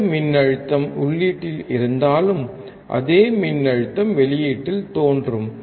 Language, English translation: Tamil, Whatever voltage will be at the input, same voltage will appear at the output